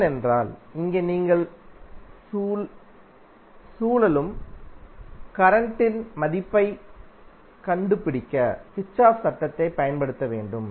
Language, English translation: Tamil, Because here also you have to apply the Kirchhoff's law to find out the value of circulating currents